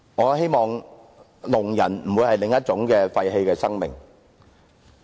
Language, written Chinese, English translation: Cantonese, 我希望聾人不會是另一種廢棄的生命。, I hope deaf people will not become another kind of wasted lives